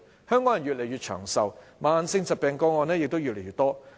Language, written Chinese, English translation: Cantonese, 香港人越來越長壽，慢性疾病個案也越來越多。, With Hong Kong people living increasingly longer the cases of chronicle illnesses also increases